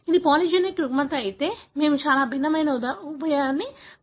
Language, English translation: Telugu, If it is a polygenic disorder, we use a very different approach